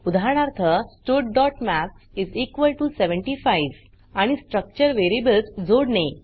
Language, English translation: Marathi, Eg: stud.maths = 75 And to add the structure variables